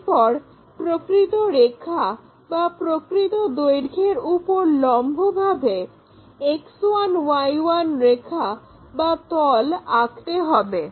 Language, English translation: Bengali, Once it is done, perpendicular to the true line or true length, draw one more X 1, I 1 line or plane